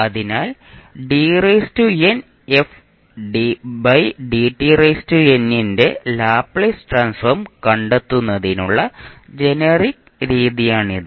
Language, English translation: Malayalam, So this is basically the standard definition of our Laplace transform